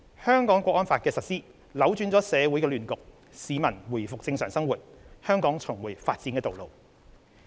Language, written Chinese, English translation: Cantonese, 《香港國安法》的實施，扭轉了社會亂局，市民回復正常生活，香港重回發展的道路。, The implementation of the National Security Law has put an end to chaos and restored order in society which enables the life of citizens to return to normal and Hong Kong to be back on the track of development